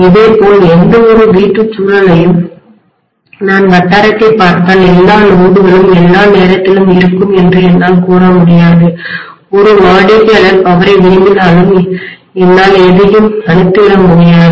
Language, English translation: Tamil, Similarly, any domestic environment if I look at the locality I cannot say all the loads will be ON all the time even if one customer is wanting the power I cannot switch off anything